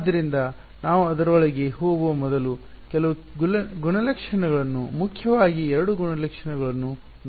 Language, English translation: Kannada, So, before we go into that let us look at some of the properties 2 main properties